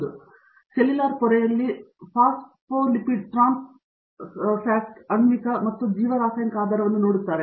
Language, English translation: Kannada, He also looks at molecular and biochemical basis of phospholipid trans location in cellular membranes